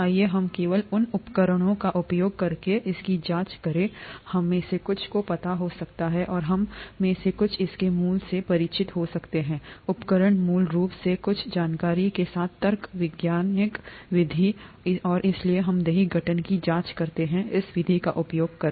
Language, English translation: Hindi, Let us investigate this just by using the tools that some of us might know, and some of us might be familiar with its basic, the tool is basically logic with some information, the scientific method, and so let us investigate curd formation using this method